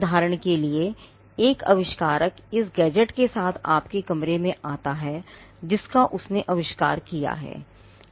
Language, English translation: Hindi, Say, an inventor walks into your room with this gadget which he has newly invented